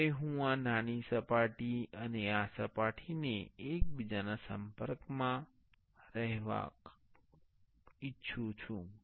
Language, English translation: Gujarati, Now, I want this small surface and this surface to be in touch with each other